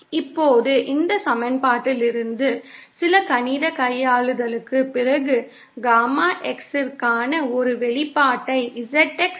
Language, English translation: Tamil, Now from this equation, after some mathematical manipulation we can find out an expression for Gamma X in terms of ZX